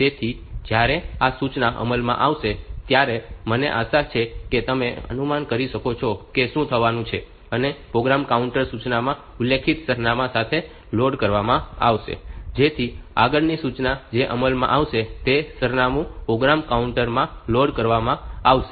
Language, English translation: Gujarati, So, when this instruction will be executed, I hope you can guess what is going to happen, the program counter will be loaded with the address that is specified here so that the next instruction that will be executed is the from the address loaded into the program counter